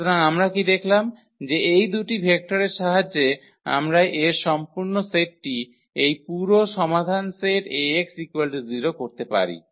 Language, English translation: Bengali, So, what we observed that with the help of these two vectors we can generate the whole set whole solution set of this A x is equal to 0